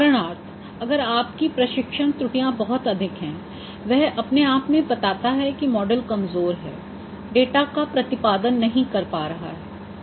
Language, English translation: Hindi, For example if your training error is very large that itself reflects that your model is weak